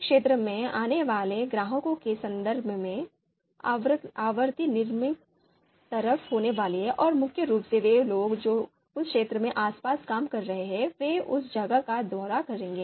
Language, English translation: Hindi, So in terms of you know customers visiting the area so that frequency is going to be on the lower side and mainly people who are working around the area they would be visiting the place